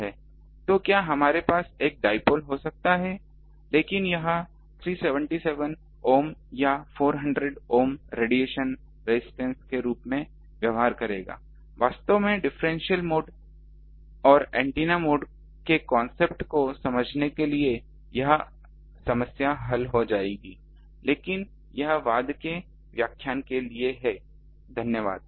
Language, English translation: Hindi, So, can we have a dipole, but it will behave as a 377 ohm or 400 ohm ah radiation resistance actually that problem will be solved by understanding this differential mode and antenna mode concept, but that is a for a later lecture